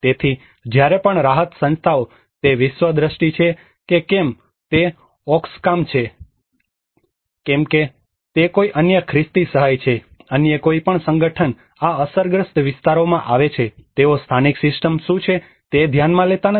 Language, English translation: Gujarati, So whenever the relief organizations whether it is a world vision whether it is Oxfam whether it is any other Christian aid or red cross any other organization coming to these affected areas, they do not even consider what is a local system